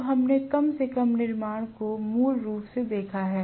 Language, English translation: Hindi, Now, that we have at least seen the construction basically